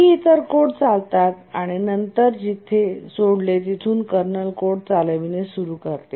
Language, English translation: Marathi, Some other code runs and then starts running the kernel code where it left